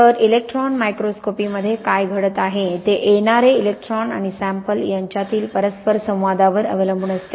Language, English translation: Marathi, So, what is happening in electron microscopy depends on the interaction between the incoming electrons and the sample